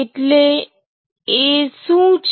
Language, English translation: Gujarati, what is going out